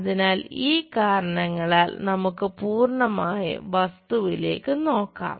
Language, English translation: Malayalam, So, because of these reasons let us look at the complete object